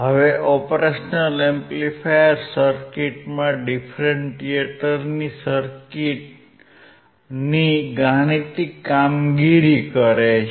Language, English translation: Gujarati, Now the Op Amp circuit performs the mathematical operation of differentiation